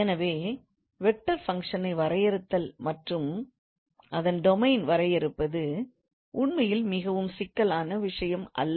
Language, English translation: Tamil, So defining the vector function and having its domain of definition is really not a very complicated thing